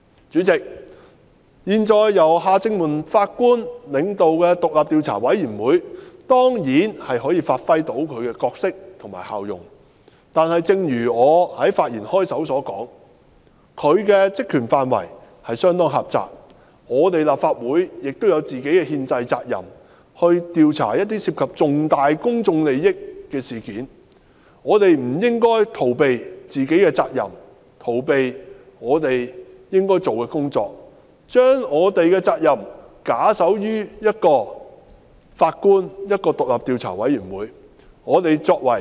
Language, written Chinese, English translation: Cantonese, 主席，現時由前法官夏正民領導的獨立調查委員會，當然可以發揮其角色和效用，但正如我在發言開首時所說，調查委員會的職權範圍相當狹窄，而立法會亦有本身的憲制責任，調查一些涉及重大公眾利益的事件，我們不應逃避自身的責任，以及逃避我們應做的工作，把我們的責任假手於一名前法官及一個獨立調查委員會。, President the existing independent Commission led by Mr Justice Michael John HARTMANN will definitely perform its role and functions yet as I said in the beginning of my speech the scope of the terms of reference of the Commission is quite narrow . Besides the Legislative Council has the constitutional duty to investigate incidents involving significant public interest so we should not shirk our responsibility and avoid doing what is required of us and we should not shift our responsibility to a former Judge and an independent commission of inquiry